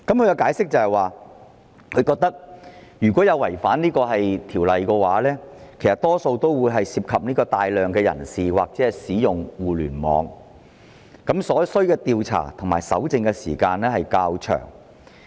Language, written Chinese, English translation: Cantonese, 根據當局的解釋，違反《條例草案》的情況多數會涉及大量人士或互聯網的使用，所需的調查和搜證時間會較長。, According to its explanation contraventions of the Bill are likely to involve large crowds or the use of the Internet thus requiring more time for investigation and collection of evidence